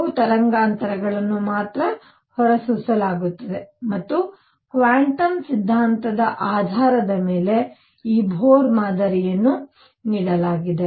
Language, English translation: Kannada, Why is it that only certain wavelengths are emitted and for this Bohr model was given based on the quantum theory